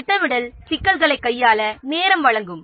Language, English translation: Tamil, The planning will provide time to handle the problems